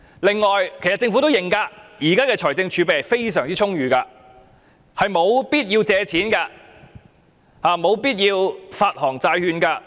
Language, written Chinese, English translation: Cantonese, 此外，政府也承認現時的財政儲備非常充裕，是沒有必要借錢、沒有必要發行債券的。, Moreover the Government has admitted that the present fiscal reserve is abundant . It is not necessary to borrow money or issue bonds